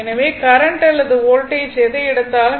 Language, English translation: Tamil, So, whereas current or voltage whatever it is take